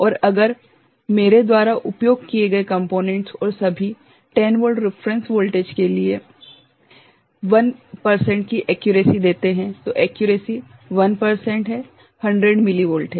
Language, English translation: Hindi, And if the components that I have used and all gives an accuracy of 1 percent right, for 10 volt reference voltage, accuracy is 1 percent, is 100 millivolt